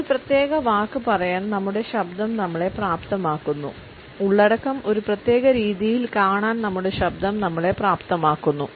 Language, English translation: Malayalam, Our voice enables us to say a particular word, our voice enables us to see the content in a particular manner